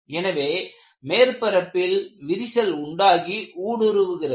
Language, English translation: Tamil, And crack starts from the surface and penetrated